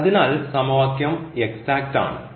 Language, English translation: Malayalam, So, the given equation is exact